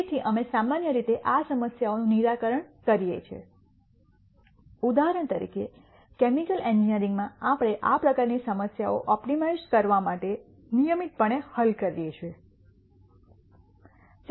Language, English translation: Gujarati, So, we typically solve these problems in for example, in chemical engineering we solve these types of problems routinely for optimizing